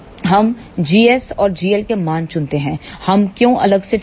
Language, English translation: Hindi, We choose the value of g s and g l, why we separately choose